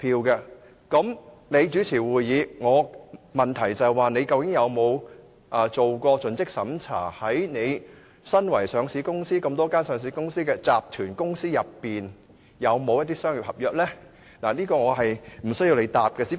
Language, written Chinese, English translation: Cantonese, 那麼，你主持會議......我的問題是，你究竟有否作盡職審查，與你相關的多間上市公司、集團公司之中，有否與西九相關的商業合約？, So you preside over the meeting my question is Have you ever carried out any relevant due diligence exercises to see if the various listed companiesgroups with which you are connected have anything to do with the commercial contracts concerning the West Kowloon station?